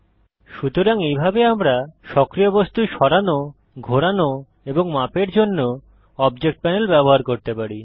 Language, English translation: Bengali, So this is how we can use the Object panel to move, rotate and scale the active object